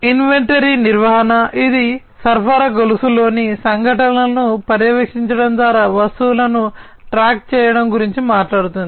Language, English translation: Telugu, Inventory management, it talks about tracking of items by monitoring events in the supply chain